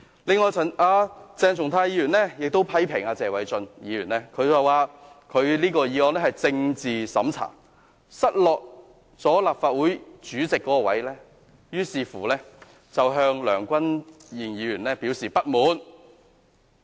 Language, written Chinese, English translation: Cantonese, 此外，鄭松泰議員批評謝偉俊議員，提出這項議案是政治審查，指他因為失落立法會主席一職，於是向梁君彥議員表示不滿。, Besides Dr CHENG Chung - tai criticized Mr Paul TSE saying that this motion is meant as political censorship and that since he lost the presidency of the Legislative Council he now shows his dissatisfaction to Mr Andrew LEUNG